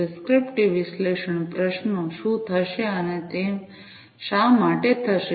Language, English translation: Gujarati, Prescriptive analytics questions, what will happen and why it will happen